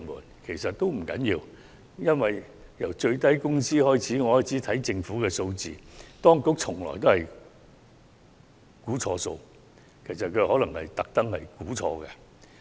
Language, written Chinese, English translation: Cantonese, 這其實也不要緊，因為由制訂最低工資開始，我從政府提供的數字發現當局總是計算錯誤，甚至可能是故意如此。, This does not really matter because ever since the implementation of the minimum wage I have noticed from the figures provided by the Government that it had often made wrong calculations or had deliberately done so